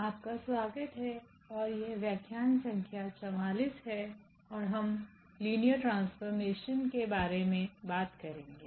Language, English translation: Hindi, Welcome back and this is lecture number 44 and we will be talking about Linear Transformations